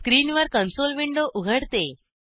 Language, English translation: Marathi, The console window opens on the screen